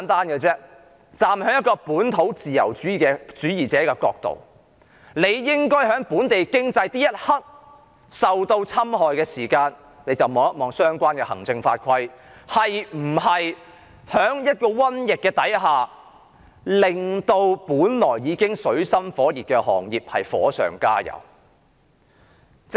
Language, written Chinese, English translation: Cantonese, 以本土自由主義者的角度而言，在本地經濟受侵害的一刻起，政府便應該檢視相關行政法規是否為原本已處於水深火熱的行業在一場瘟疫下火上加油。, From a local liberalist standpoint I will say that at the very moment when the local economy began to suffer the Government should examine whether the relevant administrative rules and regulations would add to the difficulties of those industries already in a dire situation amid this plague